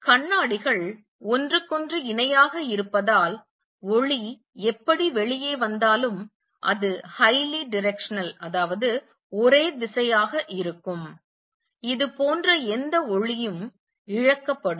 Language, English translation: Tamil, Since the mirrors are parallel to each other whatever light comes out is going to be highly directional, any light that goes like this is going to be lost